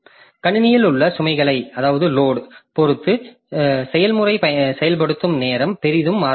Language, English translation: Tamil, So, process execution time can vary greatly depending on the load on the system